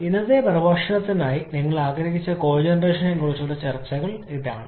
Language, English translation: Malayalam, About the cogeneration that you wanted to have for today's lecture